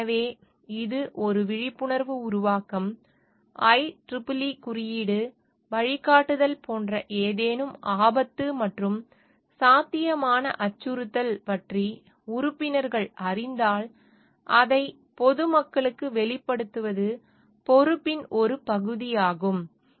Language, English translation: Tamil, So, this is an awareness generation like if the IEEE code guides like the if the members come to know about any potential hazard and possible threat, then it is the part of the responsibility to disclose that to the public